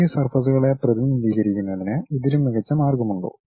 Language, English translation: Malayalam, Are there any better way of representing this surfaces